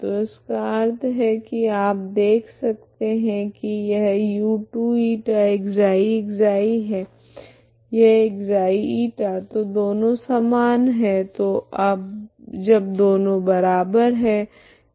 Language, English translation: Hindi, So this means one can see that this is same as u2η( ξ , ξ ) this is ξ , η so both are same so when both are same this is also 0, okay so both are same these are equivalent, okay